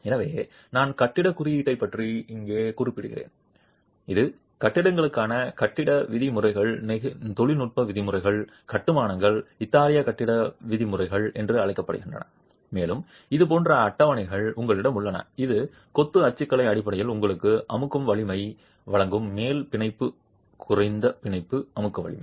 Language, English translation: Tamil, So, I'm making reference here to the building code, it's called the building norms, technical norms for buildings, for constructions, the Italian building norms, and you have tables like this which based on the masonry typology will give you compressive strength, upper bound, lower bound compressive strength